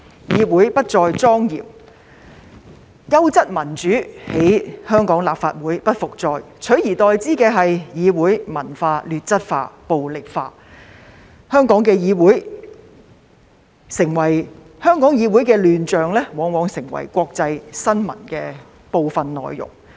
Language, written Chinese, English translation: Cantonese, 議會不再莊嚴，優質民主在香港立法會不復再，取而代之的是議會文化劣質化、暴力化，香港議會的亂象往往成為國際新聞的部分內容。, This Council is no longer solemn and quality democracy cannot be seen any more in the Legislative Council of Hong Kong . Instead the parliamentary culture is deteriorating and the Council is getting more violent . The commotion in this Council of Hong Kong was often covered in international news